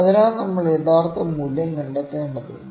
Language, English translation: Malayalam, So, we need to find the true value, ok